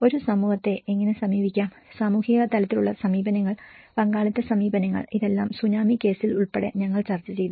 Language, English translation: Malayalam, How to approach a community, the social level approaches, participatory approaches, all these we did discussed about it